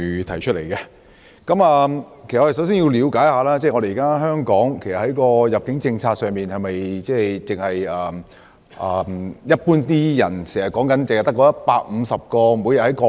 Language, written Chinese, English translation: Cantonese, 首先，我們要了解，現行香港的入境政策是否只有一般人經常提到的每天150個單程證配額？, First of all we need to know whether the daily quota of 150 One - way Permits OWPs that people often mention is the only admission policy in Hong Kong